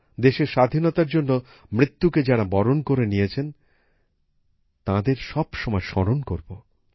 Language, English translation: Bengali, We should always remember those who laid down their lives for the freedom of the country